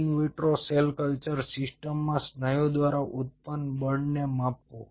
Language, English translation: Gujarati, measuring the force generated by muscle in an in vitro cell culture system